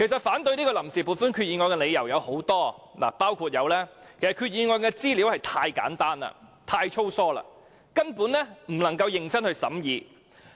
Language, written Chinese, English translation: Cantonese, 反對這項臨時撥款決議案的理由實在太多，包括決議案的資料太簡單、太粗疏，根本無法認真審議。, There are actually too many reasons for opposing the Vote on Account Resolution eg . the information therein is too simplistic and too slapdash making it impossible for a serious scrutiny to be conducted